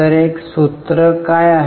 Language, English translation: Marathi, What is the formula